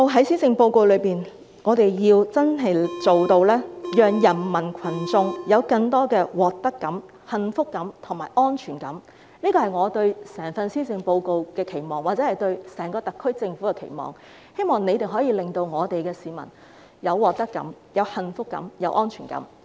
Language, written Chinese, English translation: Cantonese, 施政報告如何能真正做到讓人民群眾有更多獲得感、幸福感及安全感，這是我對整份施政報告或整個特區政府的期望，希望政府能夠令市民有獲得感、幸福感及安全感。, Will the Government please make some good efforts? . How the Policy Address can truly bring a sense of gain happiness and security to the people is my expectation on the entire Policy Address or the whole Government . I hope the Government can give people a sense of gain happiness and security